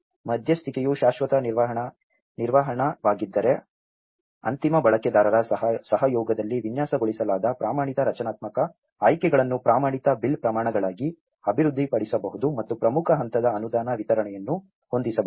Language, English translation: Kannada, If the intervention is permanent construction, then the standardized structural options designed in collaboration with end users can be developed into standard bill of quantities and set key stage grant disbursements